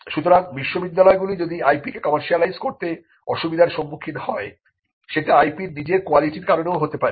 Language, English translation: Bengali, So, if universities are having problem in commercializing IP it could also be due to the quality of the IP itself